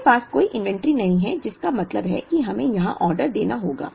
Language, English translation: Hindi, We do not have any inventory, which means we have to place an order here